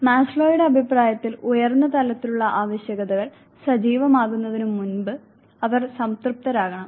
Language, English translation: Malayalam, According to Maslow, they are supposed to be satisfied before the higher lever needs they become activated